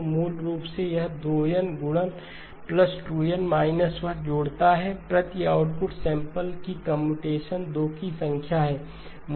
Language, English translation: Hindi, So basically this 2N multiplies plus 2N minus 1 adds times 2 is the number of computations per output sample